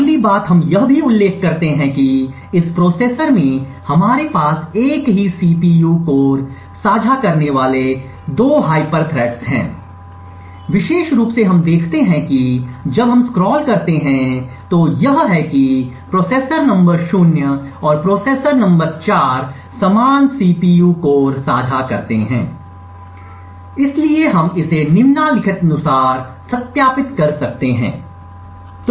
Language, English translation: Hindi, The next thing we also mention that in this processor we had 2 hyper threads sharing the same CPU core particularly what we see if we scroll up is that the processor number 0 and the processor number 4 share the same CPU core, so we can verify this as follows